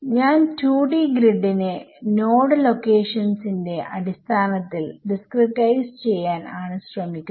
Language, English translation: Malayalam, I am just trying to discretise a 2D grid in terms of node locations as well ok